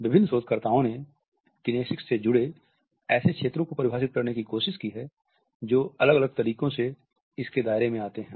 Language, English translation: Hindi, Various researchers have tried to define the fields associated with kinesics, fields which come under its purview in different ways